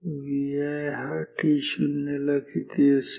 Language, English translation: Marathi, So, this is t 5